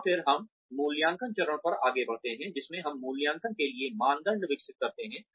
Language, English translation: Hindi, And then, we move on to the evaluation phase, in which, we develop criteria for assessment, for evaluation